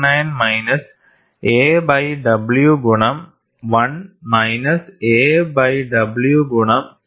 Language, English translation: Malayalam, 99 minus a by w into 1 minus a by w into 2